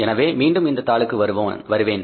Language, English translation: Tamil, So, and we will again come back to this sheet